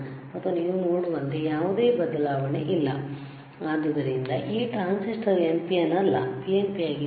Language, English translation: Kannada, So; that means, that this transistor is not an NPN, is it PNP